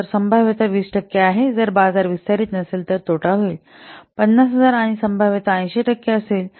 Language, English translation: Marathi, If market doesn't expand, there will be a loss that will be 50,000 and probability is 80 percent